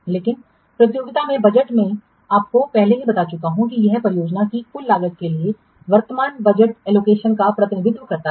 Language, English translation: Hindi, So budget at completion I have already told you this represents the current budget allocation to total cost of a project